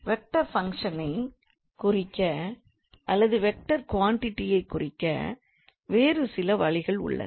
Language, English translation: Tamil, And there are some other ways to denote a vector function or to denote a vector quantity